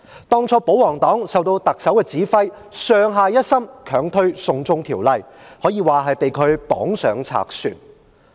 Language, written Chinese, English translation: Cantonese, 當初保皇黨受特首指揮，上下一心強推"送中條例"，可以說是被她綁上賊船。, At the beginning the royalists were under the command of the Chief Executive and they worked as one to push forward the China extradition bill . It can be said that they were taken for a ride on a pirate ship